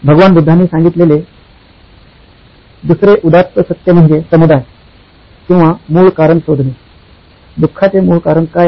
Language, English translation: Marathi, The second noble truth that Lord Buddha talked about was “Samudaya” or finding out the root cause; what is the root cause of suffering